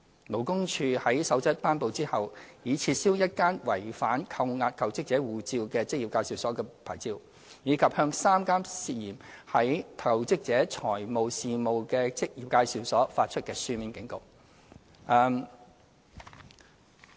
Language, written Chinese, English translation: Cantonese, 勞工處在《守則》頒布之後，已撤銷一間違反扣押求職者護照的職業介紹所的牌照，以及向3間牽涉在求職者財務事宜的職業介紹所發出書面警告。, Subsequent to the promulgation of the Code LD already revoked the licence of one employment agency for withholding the passports of jobseekers while serving written warnings to three agencies involved in the financial affairs of jobseekers